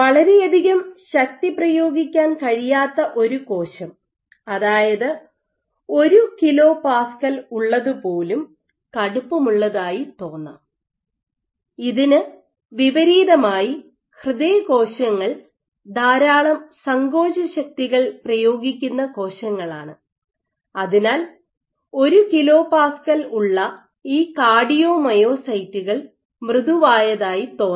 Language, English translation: Malayalam, So, even 1 kPa might seem stiff, versus the cell let us say a cardiomyocyte 1 kPa, so, cardio myocytes are cells which exert lot of contractile forces 1 kPa might appear to be soft